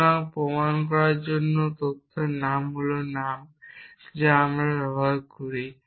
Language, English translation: Bengali, So, theory on proving is the name that we use